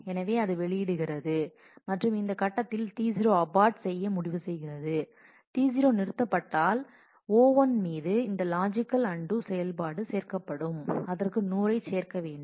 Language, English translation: Tamil, So, then it releases that and T 0 at this point might decide to abort; if T 0 aborts, then this logical undo of O 1 this operation will add, it had to add 100